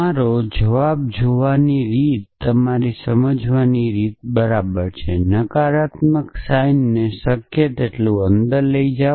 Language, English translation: Gujarati, So, the way to look your answer is right your way the way to understand that is to push the negation sign as much is possible